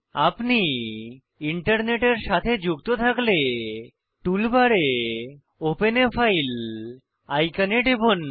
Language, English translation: Bengali, If you are not connected to Internet, then click on Open a File icon on the tool bar